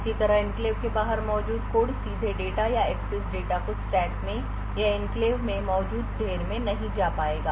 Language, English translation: Hindi, Similarly code present outside the enclave will not be able to directly invoke data or access data in the stack or in the heap present in the enclave